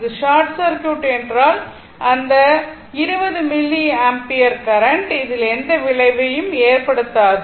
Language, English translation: Tamil, If this is short circuit this 20 milliampere current, it has no effect on this one